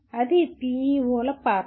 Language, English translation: Telugu, That is the role of PEOs